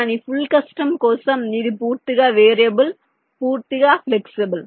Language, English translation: Telugu, but for full custom it is entirely variable, entirely flexible cell type